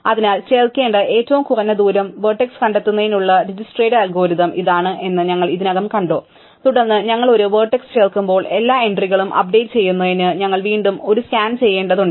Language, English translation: Malayalam, So, we already saw this is a bottleneck in dijkstra's algorithm to find the minimum distance vertex to add, and then when we add a vertex, we have to do and again a scan to update all the entries